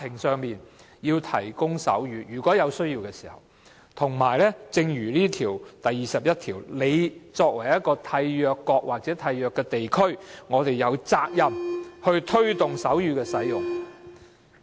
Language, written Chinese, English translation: Cantonese, 正如《殘疾人權利公約》第二十一條所指，作為締約國或締約地區，我們有責任推動手語的使用。, Under Article 21 of the Convention on the Rights of Persons with Disabilities we as a signatory shall have the responsibility to promote the use of sign languages